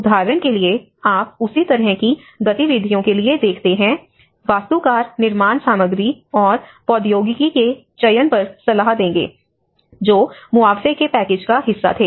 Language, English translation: Hindi, For example, on the right hand side, you see for the same kind of activities, architects will advise on the selection of building materials and technology that were part of the compensation package